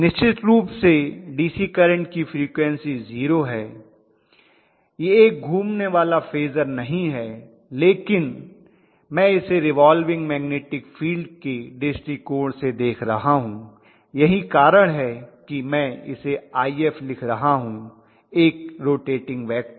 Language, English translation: Hindi, The DC current is definitely having 0 frequency, it is not a rotating phasor, it is not a rotating phasor but I am looking at it from the viewpoint of the revolving magnetic field, that is the reason I am able to specify that damp IF as you know a vector, phasor, a rotating vector